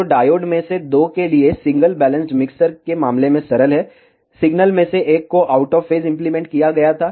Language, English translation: Hindi, So, simple in case of single balanced mixers for two of the diodes, one of the signal was applied out of phase